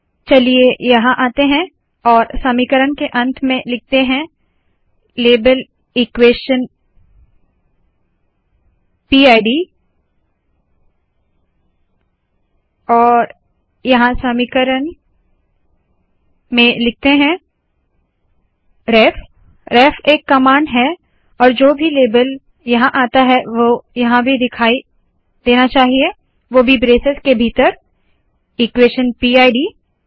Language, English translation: Hindi, So let us come here and here at the end of the equation we introduce label equation PID and then here I write in equation ref, ref is the command, and whatever than comes here label, should appear here also, again within the braces, equation PID